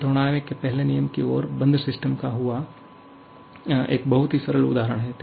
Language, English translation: Hindi, It is a very simple example of the application first law of thermodynamics and closed system